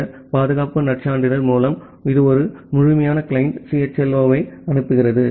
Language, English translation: Tamil, With this security credential, it sends a complete client CHLO